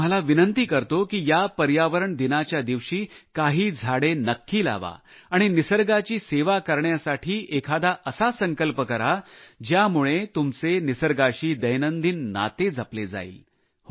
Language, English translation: Marathi, I request you to serve nature on this 'Environment Day' by planting some trees and making some resolutions so that we can forge a daily relationship with nature